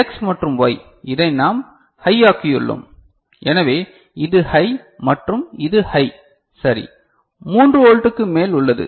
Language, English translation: Tamil, And X and Y we have made it high so, this is high and this is high ok, more than 3 volt or so, right